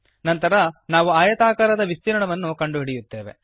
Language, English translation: Kannada, Then we calculate the area of the rectangle